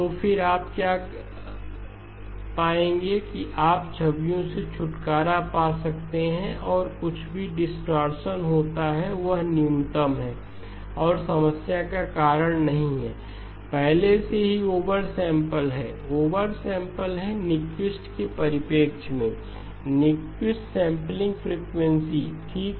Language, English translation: Hindi, So then what you will find is that you can get rid of the images and whatever distortion occurs is minimal and does not cause a problem, is already oversampled, oversampled with respect to Nyquist, Nyquist sampling frequency okay